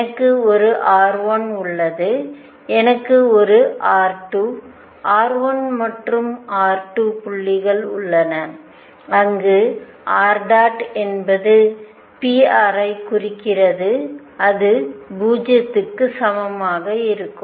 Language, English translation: Tamil, This orbit is like this I have a r 1, I have a r 2, r 1 and r 2 points where r dot is equal to 0 which implies p r is also be equal to 0